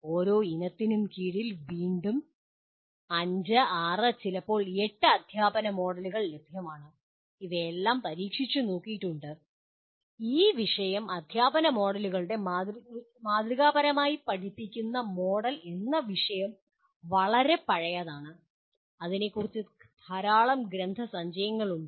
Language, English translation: Malayalam, Under each family again there are maybe 5, 6 sometimes 8 teaching models available and all of them have been experimented, this subject being fairly teaching model subject of teaching models is fairly old, there is a whole lot of literature on this